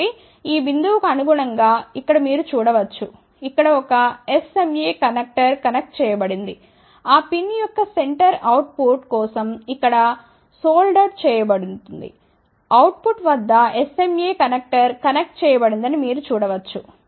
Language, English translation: Telugu, So, you can see here corresponding to this point here a sma connector has been connected here, the center of that pin is soldered over here for the output, you can see that at the output sma connector is connected